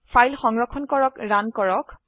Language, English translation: Assamese, Save and Runthe file